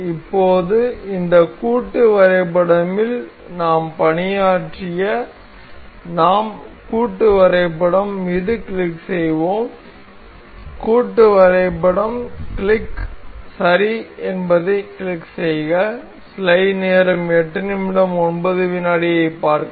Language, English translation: Tamil, So, now we will be working on this assembly we click on assembly, we click on assembly click ok